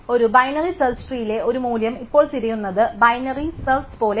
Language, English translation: Malayalam, So, now searching for a tree a value in a binary search tree is very much like binary search